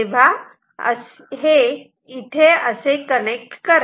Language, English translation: Marathi, So, connect them like this